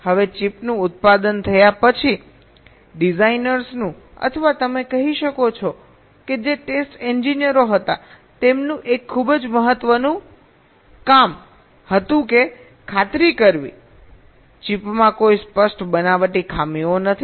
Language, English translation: Gujarati, one very important task of the designers, or you can say the text engineers, was to ensure that the chip does not contain any apparent fabrication defects